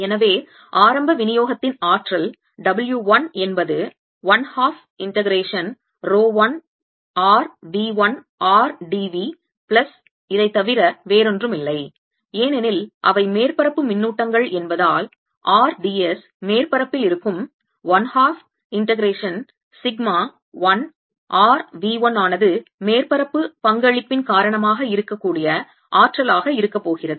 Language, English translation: Tamil, alright, so the energy of the initial distribution, let's call it w one, is nothing but one half integration rho one r v one r d v plus, because they are surface charges, there is going to be energy due to surface contribution, which is going to be one half integration sigma one r v one on the surface r d s